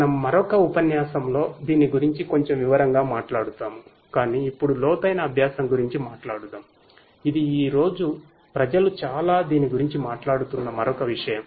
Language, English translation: Telugu, We will talk about this in little bit more detail in another lecture, but let us now talk about deep learning which is another thing that people are talking about a lot in the present day